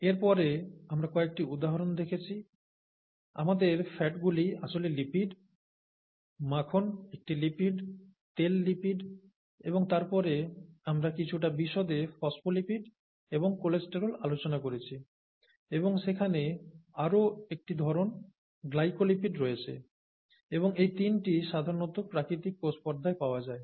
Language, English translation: Bengali, And then we saw a few examples, our fats are actually lipids, and then butter is a lipid, oil is a lipid, and then we looked at some of the details of phospholipids, and cholesterol and there is another type, glycolipids and all these three are commonly found in natural cell membranes